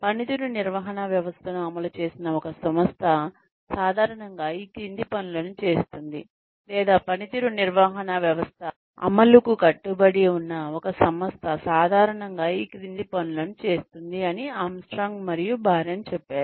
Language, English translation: Telugu, Armstrong and Baron said that, an organization, that has implemented a performance management system, typically does the following things, or an organization, that is committed to the implementation of a performance management system, usually does the following things